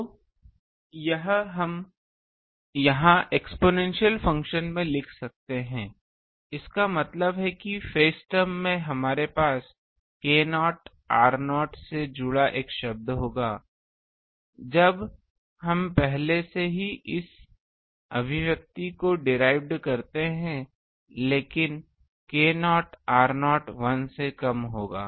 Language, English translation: Hindi, So, this we can write here in the exponential function; that means, in the phase term we will have a term involving k naught r naught; when we substitute the already derived this expression, but k naught r naught will be less than 1